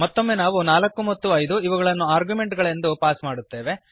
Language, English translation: Kannada, Again we pass arguments as 4 and 5